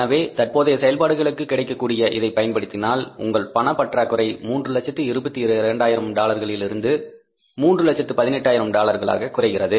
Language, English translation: Tamil, So, if you use this which is available for the current operations, so your deficit of the cash comes down from the $322,000 to $318,000